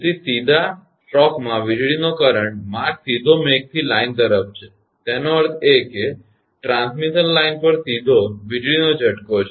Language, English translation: Gujarati, So, and in the direct stroke the lightning current path is directly from the cloud to the line; that means, there is a direct lightning stroke on the transmission line